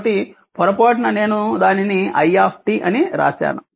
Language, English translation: Telugu, So, by mistake I have made it I t